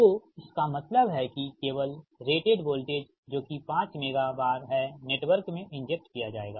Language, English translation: Hindi, that only at rated voltage this five megavar will be injected into the network